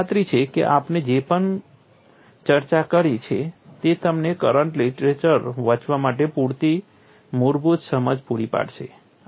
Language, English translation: Gujarati, I am sure whatever we have discussed will provide you enough basic understanding for you to read the correct literature